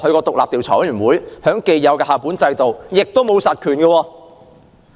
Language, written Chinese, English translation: Cantonese, 獨立調查委員會在既有的校本制度下也沒有實權。, The Independent Investigation Committee has no real power under the existing school - based system